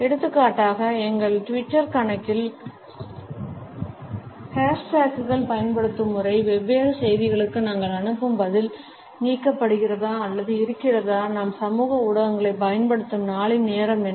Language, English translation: Tamil, For example, the way we use hash tags on our Twitter account, the response which we send to different messages is delete or is it immediate, what is the time of the day during which we are using the social media and what is the time of the day in which we are using the media for our work related issues